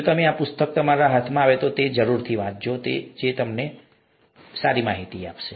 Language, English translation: Gujarati, If you get your hands on these books, it might be good if you read them